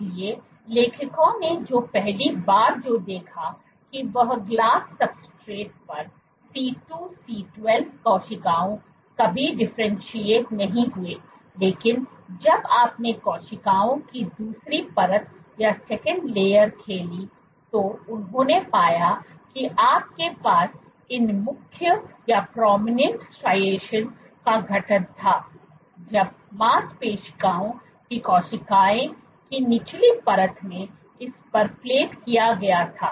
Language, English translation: Hindi, So, what the authors observed first was on glass substrates C2C12 cells never differentiated, but when you played the second layer of cells what they found was you had the formation of these striations it was very prominent when plated on this in bottom layer of muscle cells